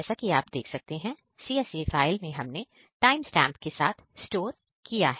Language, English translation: Hindi, Here is the CSV file as you can see here and it is storing with timestamp